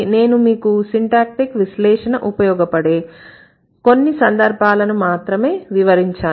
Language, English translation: Telugu, It is just that I am giving you a few instances where syntactic analysis is going to be useful